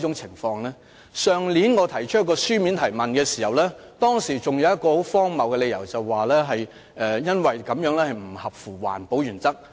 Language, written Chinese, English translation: Cantonese, 去年當局就我的書面質詢提出了一個很荒謬的理由，指空調設備不合乎環保原則。, Last year the Administration put forward a ridiculous reason in its reply to my written question claiming that the provision of air - conditioning system does not conform to environmental protection principles